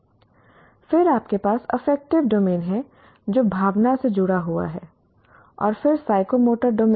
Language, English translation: Hindi, Then you have affective domain which is as linked with your, linked with emotion and then the psychomotor domain